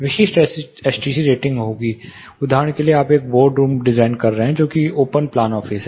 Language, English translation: Hindi, There will be specific STC ratings; say for example, you are designing a board room which is next one open plan office